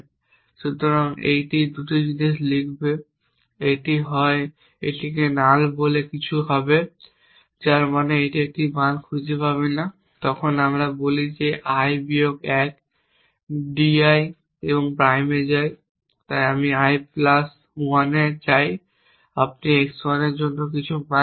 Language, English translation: Bengali, So, it will written 2 things it will either it something called null which means it cannot find a value then we say i goes to i minus 1 D i prime hence i goes to i plus 1 you have got some value for x 1